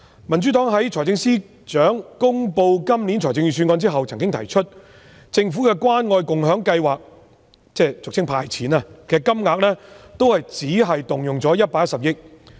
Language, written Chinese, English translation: Cantonese, 民主黨在財政司司長公布本年度的預算案後曾經提出，政府的關愛共享計劃——俗稱"派錢"——只動用了110億元。, After the Financial Secretary announced the Budget this year the Democratic Party pointed out that the Government has only used 11 billion in the Caring and Sharing Scheme